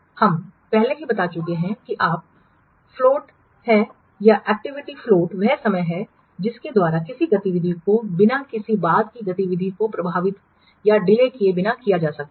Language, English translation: Hindi, We have already I have already told you float that is float or activity float in the time by which an activity may be delayed without affecting any subsequent activity